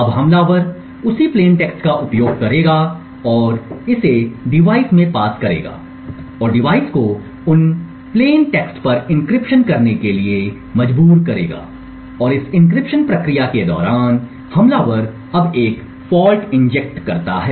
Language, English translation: Hindi, Now the attacker would use the same plain text and pass it to the device and force the device to do an encryption on that plain text, the device would encrypt that plain text using the same stored secret key and the plain text and during this encryption process the attacker now injects a fault